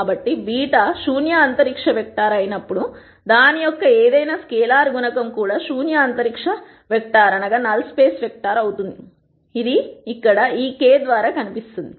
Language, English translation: Telugu, So, whenever beta is a null space vector then any scalar multiple of that will also be a null space vector that is what is seen by this k here